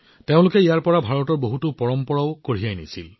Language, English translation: Assamese, They also took many traditions of India with them from here